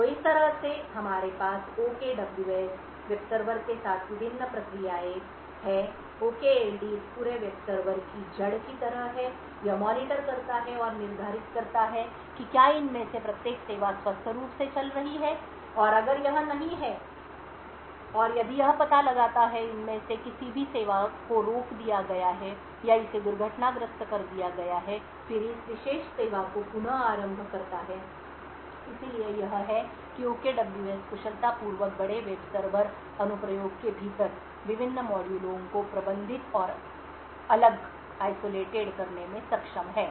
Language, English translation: Hindi, So in this way we have the various processes involved with the OKWS web server, the OKLD is kind of the root of this entire web server, it monitors and determines whether each of these services is running healthily, if it is not and if it detects that any of these services are stopped or has been crashed it then restarts that particular service, so this is how OKWS has efficiently been able to manage and isolate various modules within the large web server application